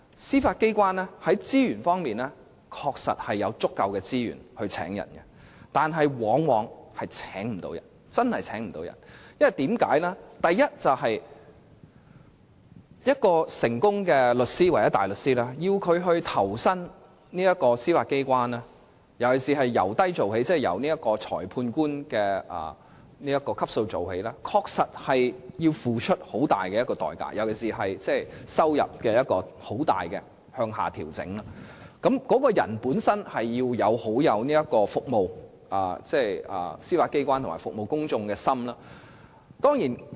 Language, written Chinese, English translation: Cantonese, 司法機關確實有足夠的資源招聘法官，但卻往往請不到人，原因是要一位成功的律師或大律師投身司法機關，而且要由低做起，即由裁判官的職級開始，確實要付出很大的代價，尤其是收入方面會大幅向下調整，所以他們必須要有服務司法機關及市民大眾的心。, The Judiciary does have sufficient resources for recruiting judges but the recruitment exercises had been disappointing . The reason is that any successful solicitor or barrister joining the Judiciary would have to start out in junior positions that is the rank of a magistrate which is indeed a huge price to pay especially the big slash in income . Therefore it is important for them to have the heart to serve the Judiciary and members of the public